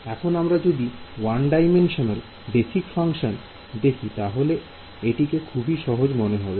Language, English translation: Bengali, So, now coming to one dimensional basis functions so, this is really easy part